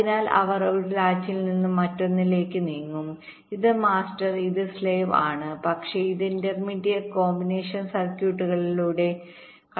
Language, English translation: Malayalam, so they will be moving from one latch to another as if this is master, as if this is slave, but it is going through the intermediate combinational circuit